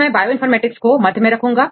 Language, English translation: Hindi, So, I put the Bioinformatics in the central part